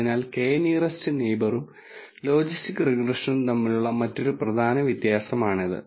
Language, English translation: Malayalam, So, that is an other important difference between k nearest neighbor and logistic regression for example